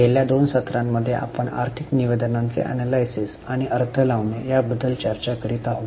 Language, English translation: Marathi, Namaste In last two sessions we have been discussing about analysis and interpretation of financial statements